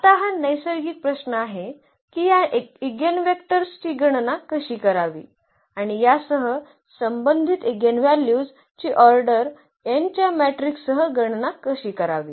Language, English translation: Marathi, Now, the natural question is how to compute this eigenvector and how to compute the eigenvalues associated with this with the matrix of order n